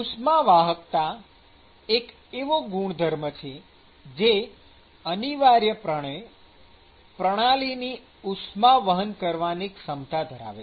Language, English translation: Gujarati, So, thermal conductivity is a property which essentially captures the ability of the system to actually conduct heat